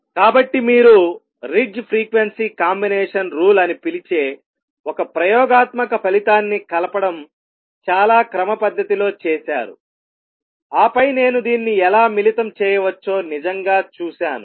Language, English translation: Telugu, So, you done it very very systematic manner combining an experimental result call they Ritz frequency combination rule, and then really seeing how I could combine this